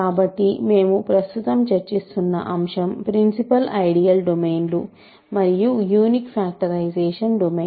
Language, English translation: Telugu, So, the topic that we are currently discussing is the notion of principal ideal domains, and unique factorisation domain